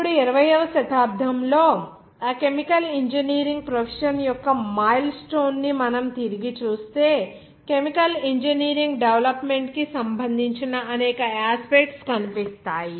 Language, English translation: Telugu, Now, if we looked back on that milestone of that chemical engineering profession in the 20th century will see that several aspects of chemical engineering development